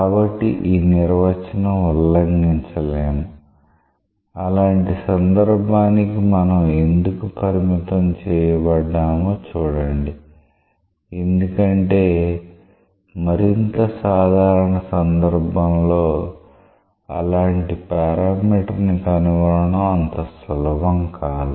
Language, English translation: Telugu, So, this definition cannot violate that see why we are restricted to such a case; because for a more general case it is not easy to find such parameter